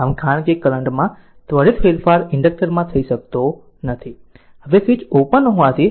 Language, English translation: Gujarati, So, because an instantaneous change in the current cannot occur in an inductor, now as the switch is open we compute R eq